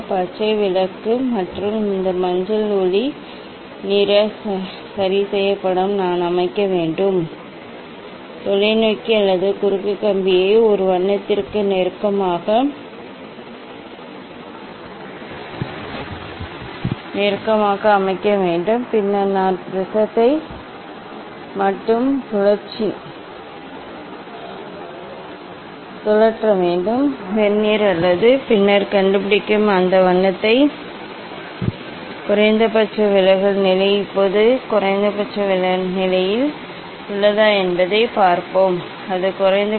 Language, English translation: Tamil, green light and this yellow light ok so now, this deviation it depends on the wavelength I have to set, I have to go close to the to a, I have to set this telescope or cross wire close to the close to a colour, and then I have to rotate the prism only prism not Vernier, and then find out the minimum deviation position for that colour Now, let me see whether this one is at minimum position, no, it is not at the minimum position